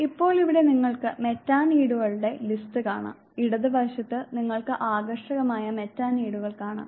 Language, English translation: Malayalam, Now, here you find the list of Metaneeds on the left hand side you see the desirable Metaneeds